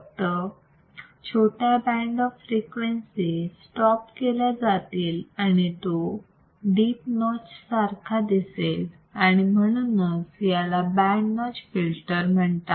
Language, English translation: Marathi, Only that small band of frequencies are stopped right, and it looks like a deep notch and that is why it is called so called band notch filter